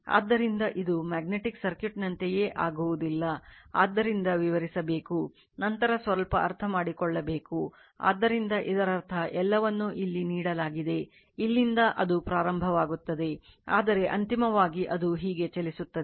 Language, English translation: Kannada, This did not much we will just as is a magnetic circuit, so you have to explain, then you have to your what you call little bit understand on that, so that means, everything is given here, that from here it will start, but finally, it will move like this right